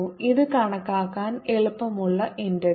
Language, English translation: Malayalam, this is an easy integral to calculate